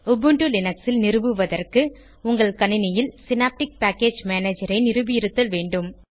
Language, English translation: Tamil, For Ubuntu Linux installation, you must have Synaptic Package Manager installed on your system